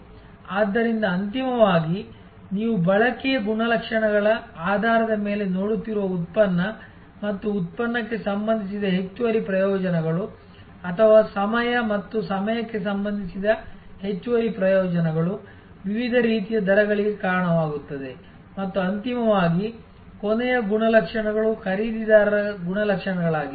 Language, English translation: Kannada, So, ultimately as you are seeing based on consumption characteristics product and product related additional benefits or time and time related additional benefits leads to different kinds of rates and ultimately the last characteristics is buyer characteristics